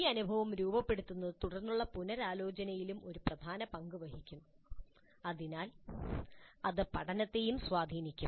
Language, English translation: Malayalam, Framing the experience influences subsequent reflection also and thus it will influence the learning also